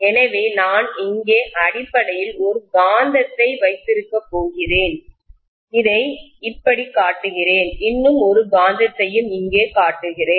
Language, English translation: Tamil, So I am going to have basically a magnet here, I am showing it like this and one more magnet here